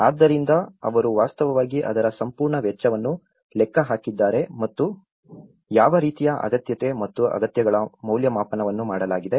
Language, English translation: Kannada, So, they have actually calculated the whole expenditure of it and as well as what kind of requirement and needs assessment has been done